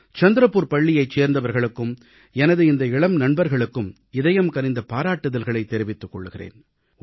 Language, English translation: Tamil, I congratulate these young friends and members of the school in Chandrapur, from the core of my heart